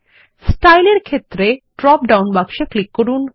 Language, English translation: Bengali, In the Style field, click the drop down box